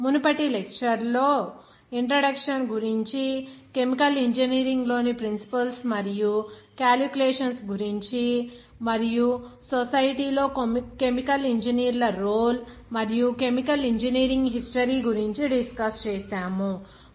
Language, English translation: Telugu, In the previous lectures, we have discussed the introduction, about the principles and calculations in chemical engineering, and the role of chemical engineers in society and its history of chemical engineering